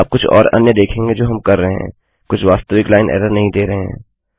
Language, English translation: Hindi, Youll see some of the other ones we will be doing, some dont return the actual line error